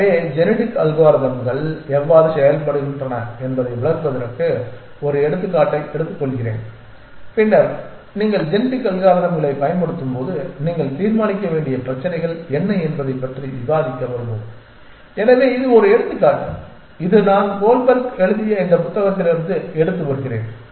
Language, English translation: Tamil, So, let me take an example to sort of illustrate how genetic algorithms work and then we will come back to discussing what are the issues that you have to decide upon when you are using genetic algorithms for optimization So, this is an example which I am taking from this book by Goldberg